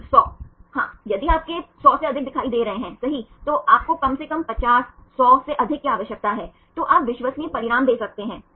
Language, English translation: Hindi, Yeah if you see more 100 right at least you need 50, more than 100 then you can give reliable results